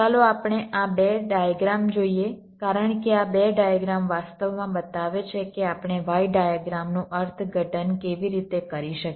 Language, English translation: Gujarati, lets look at these two diagrams, because these two diagrams actually show how we can interpret the y diagram